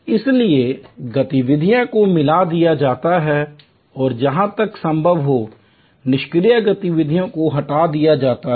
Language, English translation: Hindi, So, activities are merged and as far as possible, idle activities are removed